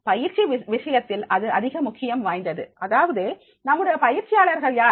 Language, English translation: Tamil, In case of the training what is most important is this, that is who are the trainees